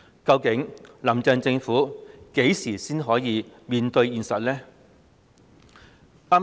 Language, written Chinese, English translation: Cantonese, 究竟"林鄭"政府何時才能面對現實？, When exactly will the Carrie LAM Administration be able to face the reality?